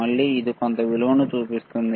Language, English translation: Telugu, Again, it is showing some value all right